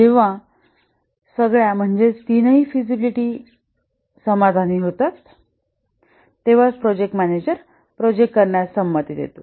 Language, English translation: Marathi, And there are three types of feasibility that the project manager is concerned